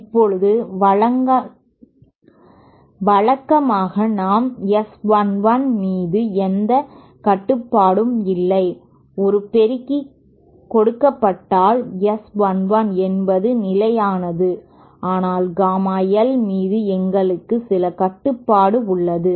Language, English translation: Tamil, Now usually we donÕt have any control over the S 1 1 suppose we are given an amplifier the S 1 1 is kind of constant but we do have some control over say the gamma l